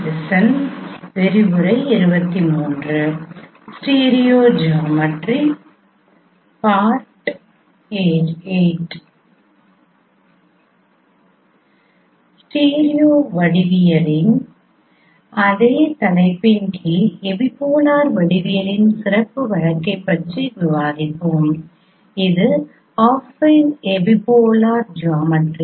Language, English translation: Tamil, We will discuss a special case of no epipolar geometry under the same topic of stereo geometry and that is affine epipolar geometry